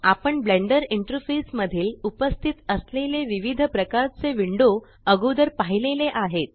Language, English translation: Marathi, We have already seen different types of windows that are present in the Blender interface